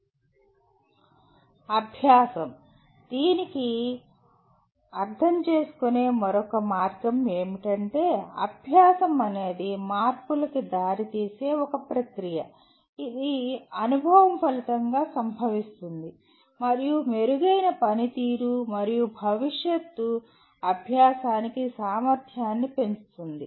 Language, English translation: Telugu, Then another way of looking at learning is, learning is a process that leads to change which occurs as a result of experience and increases the potential for improved performance and future learning